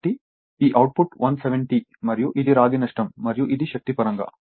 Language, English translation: Telugu, So, this is output is 170 and this is myyour copper loss and this is my energy in terms of energy